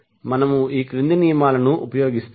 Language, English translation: Telugu, We will simply use the following rules